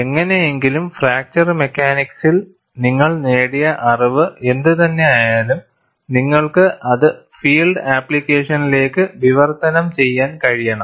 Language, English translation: Malayalam, Someway, whatever the knowledge you have gained in fracture mechanics, you should be able to translate it to field application